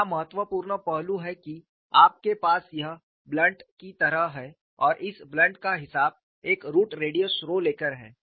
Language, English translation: Hindi, The important aspect here is you have this has blunt and this blunting is accounted for, by taking a root radius rho